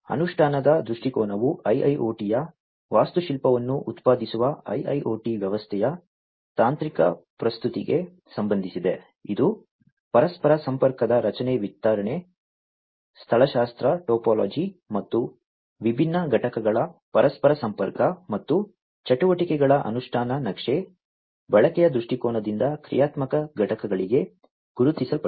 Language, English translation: Kannada, Implementation viewpoint relates to the technical presentation of the IIoT system generating architecture of the IIoT, it is structure distribution topology of interconnection, and interconnection of different components, and the implementation map of the activities, as recognized from the usage viewpoint to the functional components